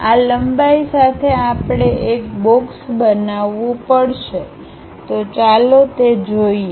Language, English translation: Gujarati, With these lengths we have to construct a box, so let us see